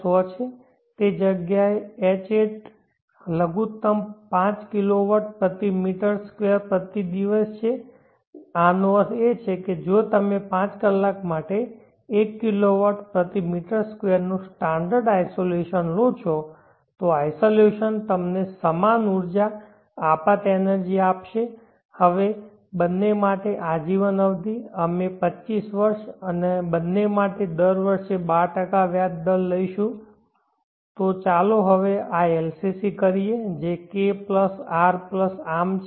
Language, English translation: Gujarati, 100/ pw the Hat minimum at that place is 5kw hours /m2/day this means that if you take standard insulation of 1kw/m2 for 5 hours you will get this insulation available to give you the same amount of energy incident energy, now the life term for both we will consider quantify years and for both we will take interest rate of 12% per year